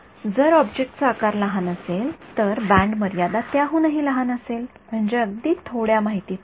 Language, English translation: Marathi, If the object size is small then the band limit is even smaller so; that means, as very little information